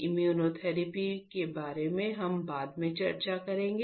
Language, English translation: Hindi, We will discuss about immunotherapy later on